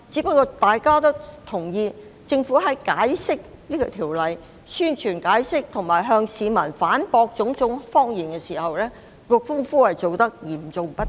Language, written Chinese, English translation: Cantonese, 不過，大家均認同政府在宣傳和解釋修訂條例上，以及向市民反駁種種謊言時，工夫做得嚴重不足。, Yet it is generally acknowledged that the Government has been sourly deficient in its effort at promoting and explaining the legislative amendment and quashing all the lies to the public